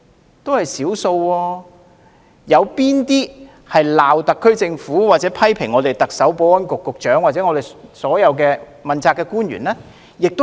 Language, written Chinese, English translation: Cantonese, 有多少是指責特區政府或批評特首、保安局局長和問責官員的呢？, How many of them have lambasted the SAR Government or hurled criticisms at the Chief Executive the Secretary for Security and other principal officials?